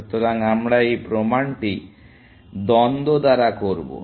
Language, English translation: Bengali, So, we will do this proof by contradiction